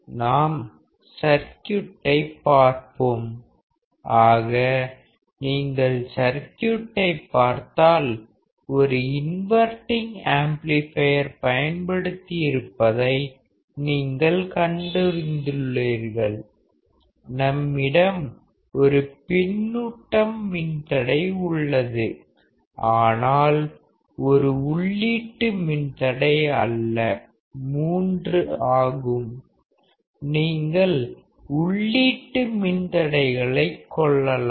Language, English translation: Tamil, Let us see the circuit; so, when you see the circuit; what do you find is that an inverting amplifier is used; if you come back on the screen, you will see that we are using a inverting amplifier, we have a feedback resistor, but instead of one input resistor; you have three; you can have n input resistors